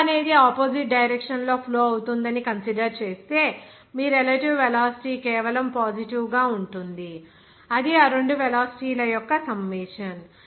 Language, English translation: Telugu, If you are considering that flow is flowing opposite in direction, then your relative velocity will be just simply positive, that is summation of those two velocity